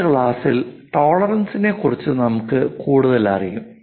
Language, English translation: Malayalam, In the next class we will learn more about tolerances